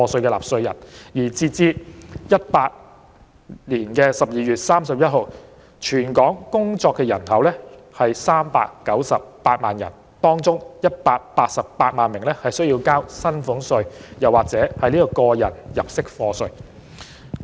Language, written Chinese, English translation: Cantonese, 截至2018年12月31日，全港工作人口有398萬人，當中188萬人須繳交薪俸稅或個人入息課稅。, As at 31 December 2018 the working population was about 3.98 million among which about 1.88 million were subject to salaries tax or tax under PA